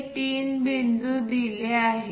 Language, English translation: Marathi, These three points are given